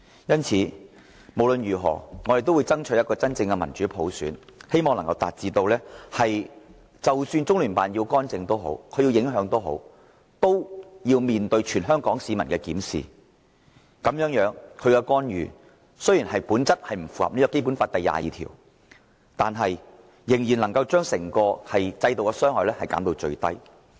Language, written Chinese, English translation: Cantonese, 因此，無論如何，我們都要爭取真正的民主普選，以致即使中聯辦要干預、要影響我們的選舉，也要面對全香港市民的監察，這樣，中聯辦的干預雖然本質上不符合《基本法》第二十二條，我們仍能將其對整個制度的傷害減至最低。, Therefore in any case we must strive for genuine democratic universal suffrage so that even if LOCPG wants to intervene and affect our election it will be monitored by all the people of Hong Kong . As such though LOCPGs intervention runs contrary to Article 22 of the Basic Law the damage to the whole system can still be minimized